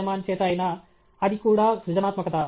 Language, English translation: Telugu, Rehman, that is also creativity